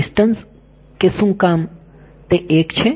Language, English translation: Gujarati, Distance why is it 1